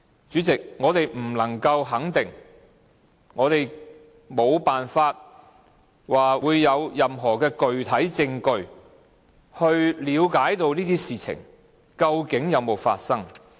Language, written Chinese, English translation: Cantonese, 主席，我們不能肯定，我們無法有任何具體證據以了解這些事情究竟有沒有發生。, President we are not sure as we do not have any concrete evidence to prove that such things have actually happened